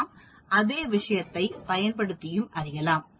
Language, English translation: Tamil, Same thing we can do it using this